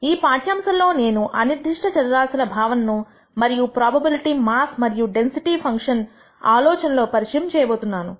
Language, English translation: Telugu, In this lecture, I am going to introduce the notion of random variables and the idea of probability mass and density functions